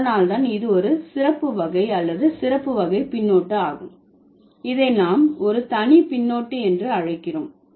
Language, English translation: Tamil, So, that is why this is a special category or a special kind of suffix and we call it diminutive suffix